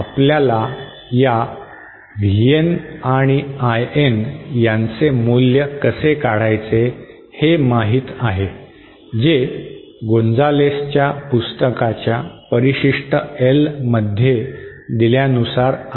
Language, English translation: Marathi, And how you know the derivation of the values of this VN and IN is given in appendix L of the book by Gonzales